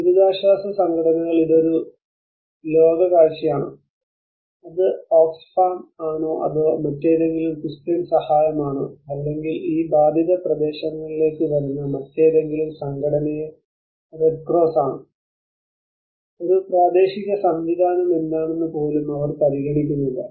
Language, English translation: Malayalam, So whenever the relief organizations whether it is a world vision whether it is Oxfam whether it is any other Christian aid or red cross any other organization coming to these affected areas, they do not even consider what is a local system